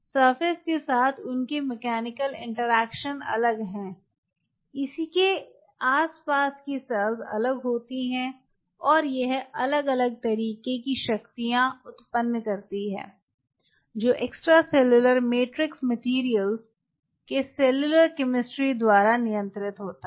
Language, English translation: Hindi, they are mechanical interaction with the surface is different, with its surrounding cells is different and it generates different kind of forces out there which is governed by this force generation is governed by the [noise] cellular [noise] (Refer Time 10:00) chemistry [noise] of extracellular matrix materials